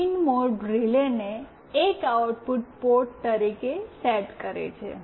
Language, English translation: Gujarati, pinMode sets RELAY1 as an output port